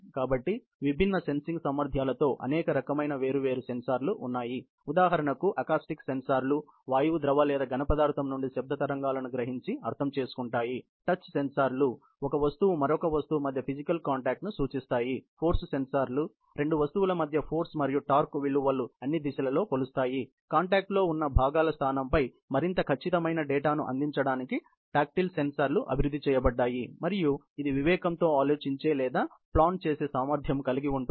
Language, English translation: Telugu, So, there are many other types of sensors with different sensing abilities; for example, acoustic sensors sense and interpret acoustic waves in gas, liquid or solid; touch sensors sense and indicate physical contact between the sensor carrying object and another object; force sensors measure all the components of the force and torque between two objects; tactile sensors are developed to provide more accurate data on the position of parts that are in contact and that is provided by the vision so on and so forth